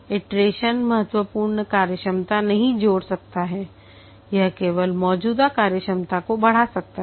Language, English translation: Hindi, Iteration may not add significant functionality, it may just only enhance the existing functionality